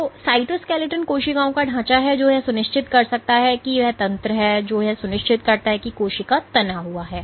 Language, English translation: Hindi, So, cytoskeleton is the cells framework which may make sure is the mechanism which ensures that the cell is taut